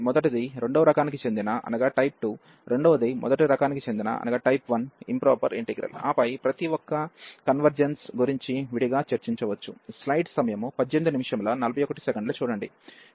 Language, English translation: Telugu, The first one is the improper integral of type 2, the second one is then improper integral of type 1, and then we can discuss separately the convergence of each